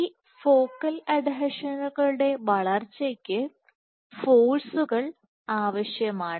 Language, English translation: Malayalam, So, on these focal adhesion growths the forces that are required